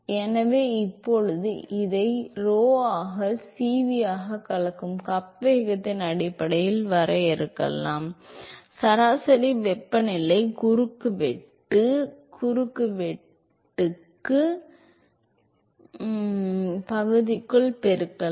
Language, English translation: Tamil, So, now we can define this, as rho into CV into in terms of the mixing cup velocity, multiplied by the average temperature into the cross sectional area